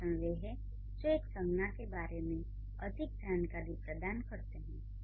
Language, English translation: Hindi, The adjectives provide more information about a noun